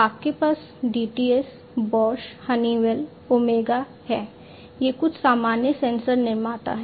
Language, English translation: Hindi, You have the DTS, Bosch, Honeywell, OMEGA, these are some of the common sensor manufacturers